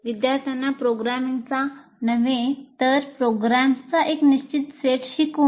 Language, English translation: Marathi, By making students learn a fixed set of programs, not programming